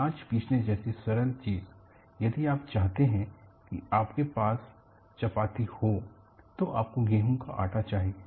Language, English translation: Hindi, Simple thing like grinding of grains; if you want to go and have chapattis you need to have wheat flour